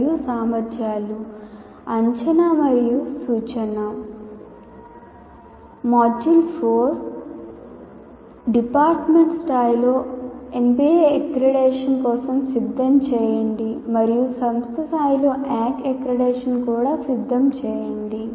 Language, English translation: Telugu, Module 4, prepare for NBA accreditation at the department level and also prepare for NAC accreditation at the institution level